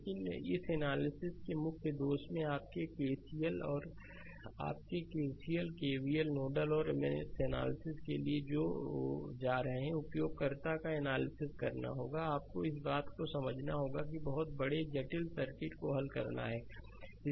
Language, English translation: Hindi, But, in major drawback of this circuit user of this analysis your KC, your KCL, KVL there we are going for nodal and mesh analysis right, you have to a this thing you have to solve very large complex circuit right